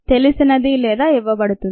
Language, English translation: Telugu, this is what is known